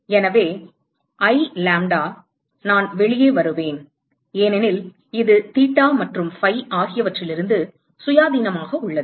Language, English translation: Tamil, So, I lambda,i will come out because it is independent of theta and phi